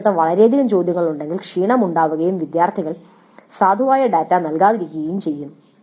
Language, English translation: Malayalam, On the other hand, if there are too many questions, fatigue may sit in and students may not provide valid data